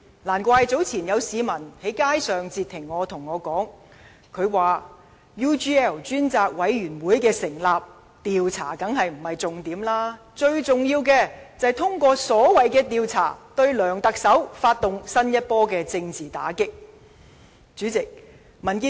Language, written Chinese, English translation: Cantonese, 難怪早前有市民在街上截停我，對我說："成立 UGL 專責委員會，調查當然不是重點，最重要的是通過所謂'調查'，對梁特首發動新一波政治打擊"。, No wonder some members of the public who stopped me earlier in the street said to me that the purpose to set up a select committee on UGL is certainly not for investigations sake but to launch a new round of political attacks against Chief Executive LEUNG Chun - ying through the so - called investigation